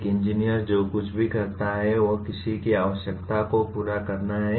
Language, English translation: Hindi, Anything that an engineer does, he is to meet somebody’s requirement